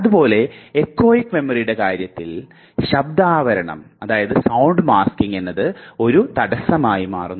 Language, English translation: Malayalam, Similarly, here in the case of echoic memory the sound masking can take place and this becomes a barrier